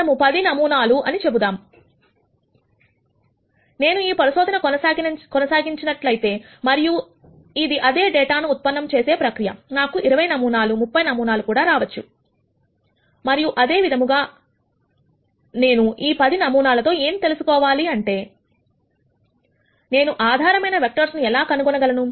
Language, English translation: Telugu, Let us say 10 and if I were to continue this experiment and if it was the same data generation process, I might get 20 samples 30 samples and so on; however, what I want to know is with these 10 samples, how do I nd the basis vectors